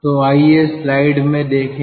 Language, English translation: Hindi, so let us ah look into the slide